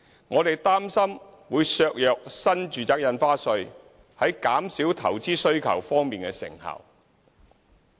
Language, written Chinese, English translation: Cantonese, 我們擔心，這建議會削弱新住宅印花稅在減少投資需求方面的成效。, We are worried that the suggestion may undermine the effectiveness of NRSD in reducing investment demand